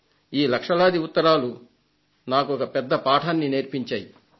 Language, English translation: Telugu, These lakhs of letters did teach me something more